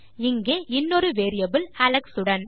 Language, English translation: Tamil, We have another variable here with Alex